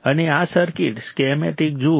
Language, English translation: Gujarati, And see this circuit schematic